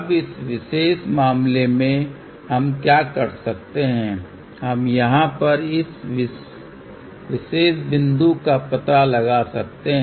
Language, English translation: Hindi, Now, in this particular case, what we can do that we can locate this particular point over here